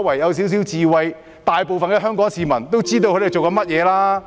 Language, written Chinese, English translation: Cantonese, 不過，其實大部分香港市民都知道他們在做些甚麼。, However as a matter of fact the majority of Hong Kong people know what they are up to